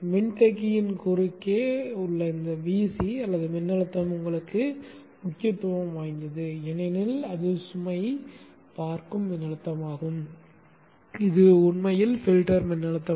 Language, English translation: Tamil, VC, a voltage across the capacitor is of importance to you because that is the voltage that the load will also be seen and this actually would be the filtered voltage